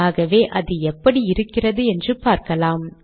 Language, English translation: Tamil, So lets see what it looks like